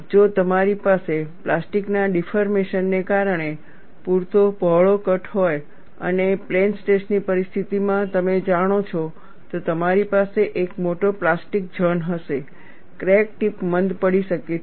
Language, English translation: Gujarati, If you have a saw cut which is wide enough, because of plastic deformation and you know in the case of plane stress situation, you will have a larger plastic zone, the crack tip may get blunt